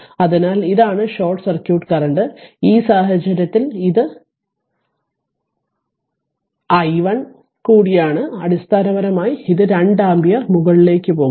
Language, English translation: Malayalam, So, this is the short circuit current i SC right and in this case in this case we at here we are taking i 1 and it is i 1 also this basically it is 2 ampere going upwards